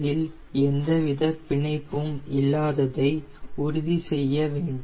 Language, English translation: Tamil, you need to feel that there is no binding